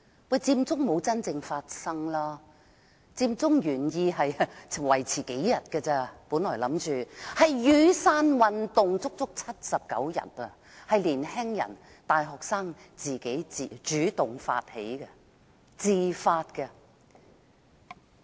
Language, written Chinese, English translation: Cantonese, 不過，佔中沒有真正發生，佔中的原意只是維持數天，反而是雨傘運動維持了79天，是由年青人、大學生主動發起，他們是自發的。, However the Occupy Central movement which intended to last a few days only did not actually happen . The Umbrella Movement initiated by young people and university students on the contrary lasted 79 days